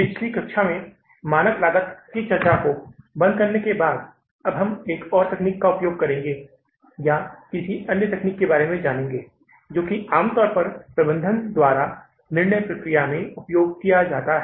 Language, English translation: Hindi, So, in the previous class I told you that after closing the discussion of the standard costing, now we will use another technique or learn about another technique which normally is used by the management in their, say, decision making process, that is marginal costing